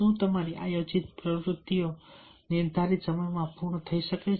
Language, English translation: Gujarati, are you are your planned activities completed within the stipulated time